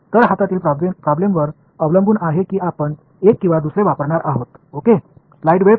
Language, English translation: Marathi, So, depending on whatever is the problem at hand, we are going to use one or the other ok